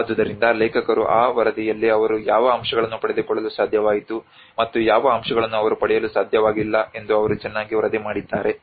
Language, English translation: Kannada, So that is then authors they have articulated very well in that report that what aspects they could able to get from these and what aspects they could not able to get in these